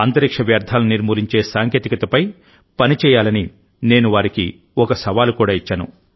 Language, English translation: Telugu, I have also given him a challenge that they should evolve work technology, which can solve the problem of waste in space